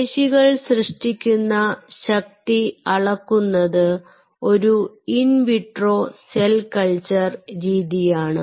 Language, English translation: Malayalam, measuring the force generated by muscle in an in vitro cell culture system